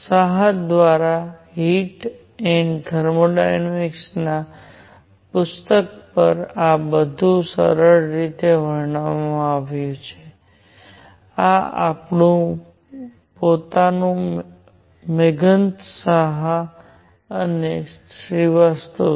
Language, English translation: Gujarati, All this is very nicely described in book by book on Heat and Thermodynamics by Saha; this is our own Meghanath Saha and Srivastava